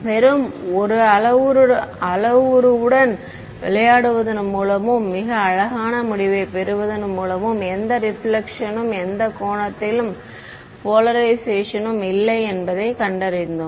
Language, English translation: Tamil, And we found that by playing around with just 1 parameter and getting a very beautiful result no reflection and any polarization at any angle ok